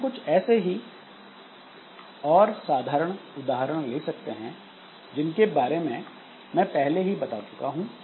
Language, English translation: Hindi, So, we can take some more examples like a very simple example that I have already talked about